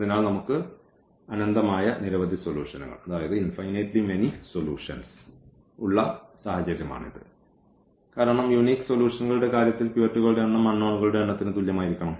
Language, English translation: Malayalam, So, this is the case where we have infinitely many solutions because in the case of unique solutions the number of pivots will be equal to the number of unknowns